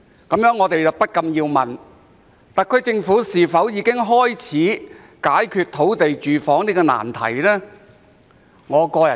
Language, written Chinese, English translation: Cantonese, 這令我們不禁思考，特區政府是否已經開始解決土地房屋這個難題？, This makes us wonder whether the SAR Government has started tackling this difficult problem of land and housing